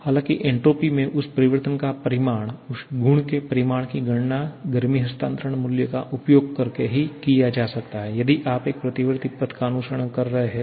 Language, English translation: Hindi, However, the magnitude of that change in entropy, magnitude of that property can be calculated using the heat transfer value only if you are following a reversible path